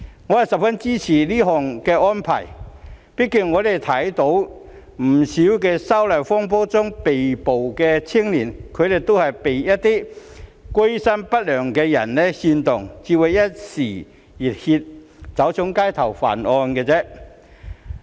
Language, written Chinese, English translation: Cantonese, 我十分支持這項安排，畢竟我們看到不少因反修例風波而被捕的青少年，都是被一些居心不良的人煽動，才會一時熱血走上街頭犯案。, I strongly support this arrangement . After all we notice that quite a number of young people arrested in connection with the disturbances were simply incited by those who harboured evil intentions to take to the streets to commit offences on impulse